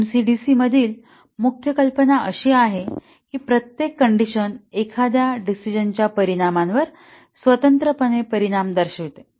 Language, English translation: Marathi, The main idea here in MC/DC is that each condition would be shown to independently affect the outcome of a decision